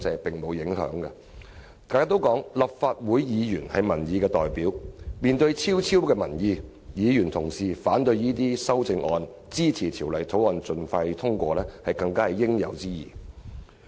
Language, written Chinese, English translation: Cantonese, 大家都說立法會議員是民意代表，面對昭昭民意，議員反對這些修正案，支持《條例草案》盡快通過，實屬應有之義。, In the face of such overwhelming public opinion Legislative Council Members―known to all as representatives of public opinion―have indeed a rightful responsibility to oppose these amendments and support the expeditious passage of the Bill